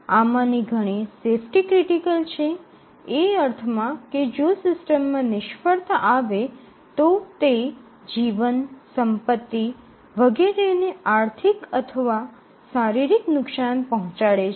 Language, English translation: Gujarati, And many of these are safety critical, in the sense that if there is a failure in the system it can cause financial or physical damage